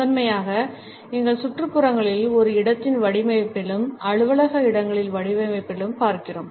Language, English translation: Tamil, Primarily, we look at colors in our surroundings and in the design of a space, offices space for example